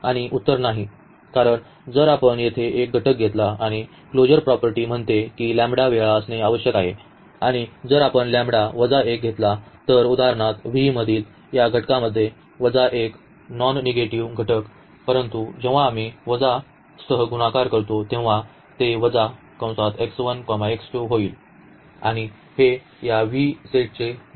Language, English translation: Marathi, And the answer is no, because if we take one element here and the closure property says that the lambda times this we must be there and if we take lambda minus 1, for example, so, the minus 1 into the this element from V which are having this non negative components, but when we multiply with the minus sign it will become minus x 1 minus x 2 and this will not belongs to this set V